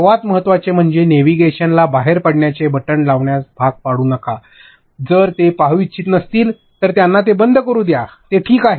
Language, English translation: Marathi, Most importantly do not force navigation have an exit button, if they do not want to see it, let them close it, it is ok